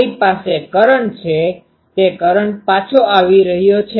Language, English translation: Gujarati, I have a current that current is coming back